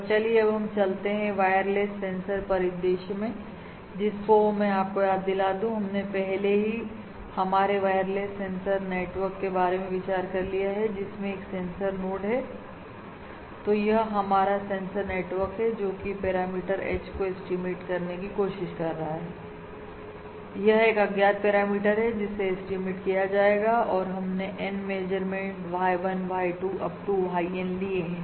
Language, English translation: Hindi, let me remind you we have already considered our wireless sensor network scenario, in which we have a sensor node so this is our sensor and which is trying to estimate a parameter H this is the unknown parameter to be estimated and we have made N measurements: Y1, Y2… Up to YN